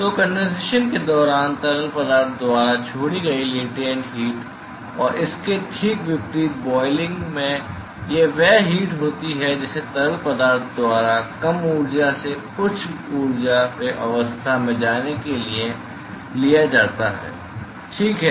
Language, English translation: Hindi, So, during condensation the latent heat which is released by the fluid and in boiling it exactly the reverse it is the heat that is taken up by the fluid in order to go from a lower energy to a higher energy state all right